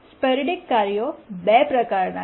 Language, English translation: Gujarati, So, there are two types of sporadic tasks